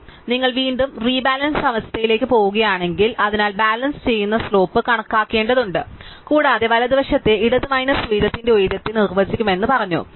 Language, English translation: Malayalam, So, if you go back to rebalancing, so rebalancing requires to compute the slope and slope we said was define to the height of the left minus height of the right